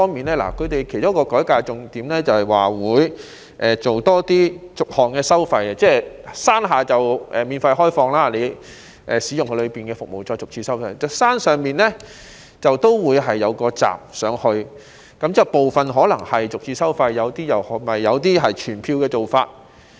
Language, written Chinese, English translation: Cantonese, 他們其中一個改革重點是增設逐項收費，例如山下會免費開放，當遊客使用園內的服務時，便會逐次收費，而山上亦會設有一道閘，有些是逐次收費，有些則採取全票的做法。, When visitors use the services in the park they will be charged on an itemized basis . In the upper park there will be a gate . Some services will be charged on an itemized basis while some will adopt the pay - one - price model